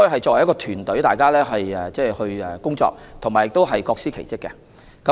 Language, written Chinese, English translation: Cantonese, 作為一支團隊，大家一同工作並各司其職。, They work together as a team while performing their respective duties